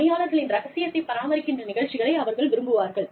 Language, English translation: Tamil, People like programs, that maintain, the confidentiality of the workers